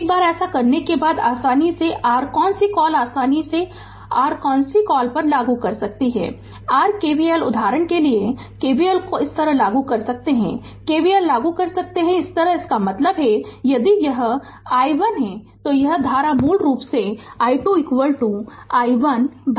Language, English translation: Hindi, Once it is done so, easily you can your what you call easily you can your what you call apply your KVL right for example, you can apply KVL like this, you can apply KVL like this; that means, if it is i 1 then this current will be basically i 2 is equal to i 1 by 2